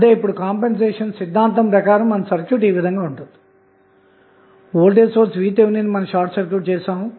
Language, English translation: Telugu, So, now, as per compensation theorem our circuit would be like this, where we are short circuiting the voltage source which is there in the network in this case it was Vth